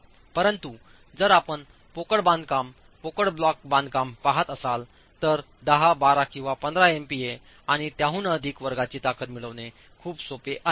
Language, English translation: Marathi, But if you are looking at hollow construction, hollow block construction, it is quite easy to get strengths that are of the order of 10, 12 or 15 MPA and higher